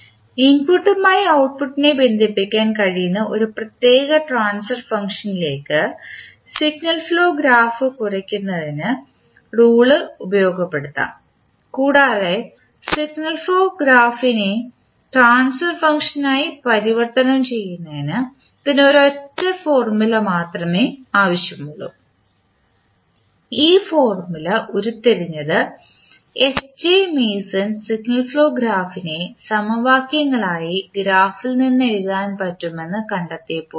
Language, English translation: Malayalam, Now with the help of Mason’s rule we can utilize the rule reduce the signal flow graph to a particular transfer function which can relate output to input and this require only one single formula to convert signal flow graph into the transfer function and this formula was derived by SJ Mason when he related the signal flow graph to the simultaneous equations that can be written from the graph